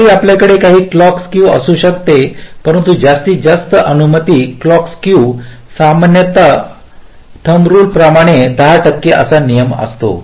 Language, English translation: Marathi, so so, although we can have some clock skew, but maximum allowable clock skew is typically, as a rule of thumb, ten percent